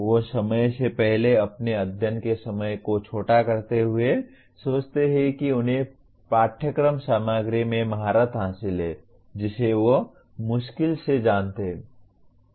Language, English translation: Hindi, They shorten their study time prematurely thinking that they have mastered course material that they barely know